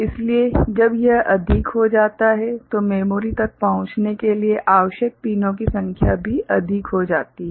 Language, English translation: Hindi, So, when it becomes higher, then the number of pins required to access the memory also becomes larger